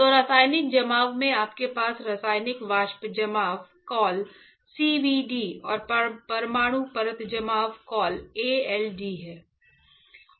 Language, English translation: Hindi, So, in chemical depositions, you have Chemical Vapor Deposition call CVD and Atomic Layer Deposition call ALD